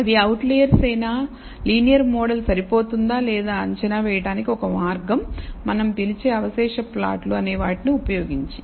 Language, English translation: Telugu, So, one way of assessing, whether they are outliers or whether linear model is adequate or not is using what we call residual plots